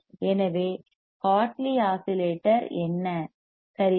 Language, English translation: Tamil, that is your Hartley oscillator ok